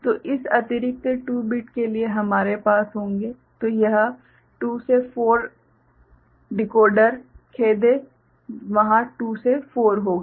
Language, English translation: Hindi, So, for this additional 2 bits we will be having a so this is a 2 to 4 decoder sorry, will be there 2 to 4